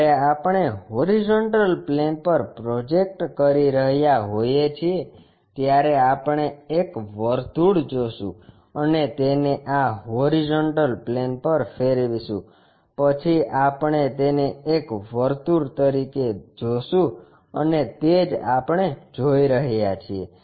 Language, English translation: Gujarati, When we are projecting on the horizontal plane, we see a circle and rotate that on to this horizontal plane, then we will see it as a circle and that is one what we are seeing